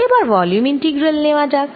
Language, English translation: Bengali, let us now take volume integrals